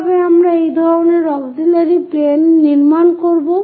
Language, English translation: Bengali, How do we construct this kind of auxiliary planes